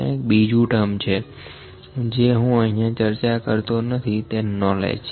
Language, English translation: Gujarati, There is another term that I will not discuss more that is the knowledge